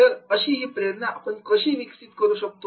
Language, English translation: Marathi, How we can develop that motivation